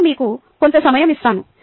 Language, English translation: Telugu, i will give you sometime